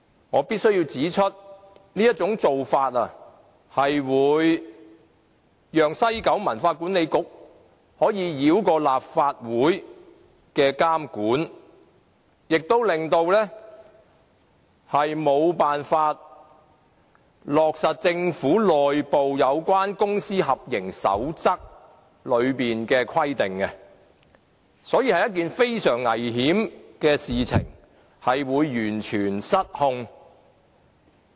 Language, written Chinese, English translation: Cantonese, 我必須指出，這種做法會讓西九文化區管理局可以繞過立法會的監管，亦沒有辦法落實政府內部有關公私合營守則的規定，所以是一件非常危險的事，會完全失控。, I must point out that this arrangement will allow the WKCD Authority to bypass the scrutiny of the Legislative Council and it also fails to tie in with the internal code laid down by the Government on public - private partnership . The arrangement is thus very risky and will get completely out of control